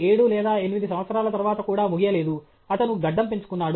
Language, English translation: Telugu, is not over after 7 or 8 years; he is growing a beard okay